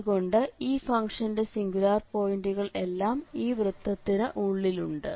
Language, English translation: Malayalam, So, in this case all these singular points are lying inside the circles